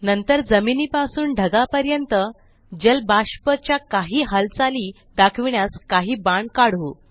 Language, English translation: Marathi, Next, let us draw some arrows to show the movement of water vapour from the ground to the cloud